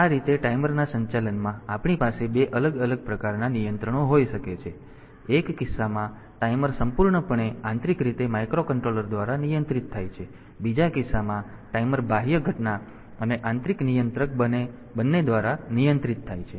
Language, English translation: Gujarati, So, this way we can have 2 different type of controls in the operation of timer, in one case the timer is controlled totally internally by the microcontroller, and in the second case the timer is controlled both by the external event and the internal controller